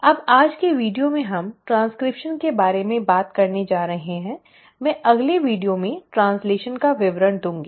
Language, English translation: Hindi, Now in today’s video we are going to talk about transcription, I will come to details of translation in the next video